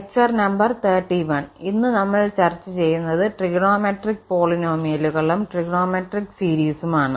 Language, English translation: Malayalam, Lecture number 31 and today we will discuss on trigonometric polynomials and trigonometric series